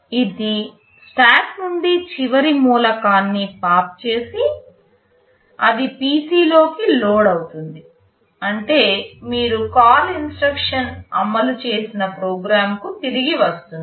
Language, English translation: Telugu, It will pop the last element from the stack, it will load it into PC, which means you return back to the program from where the call instruction was executed